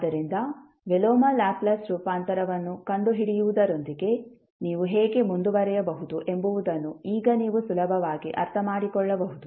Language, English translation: Kannada, So, now you can easily understand that how you can proceed with finding out the inverse Laplace transform